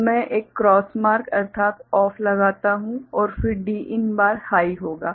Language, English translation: Hindi, So, I put a cross mark means OFF and then Din bar will be high